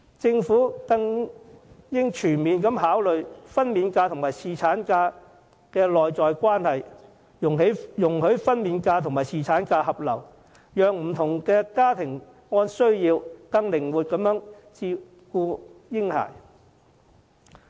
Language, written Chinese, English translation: Cantonese, 政府更應全面考慮分娩假與侍產假的內在關係，容許分娩假與侍產假合流，讓不同家庭按需要更靈活地照顧嬰孩。, Moreover the Government should consider comprehensively the intrinsic relationship between maternity leave and paternity leave allowing a merger of the two so that different families would have greater flexibility in taking care of their babies according to their needs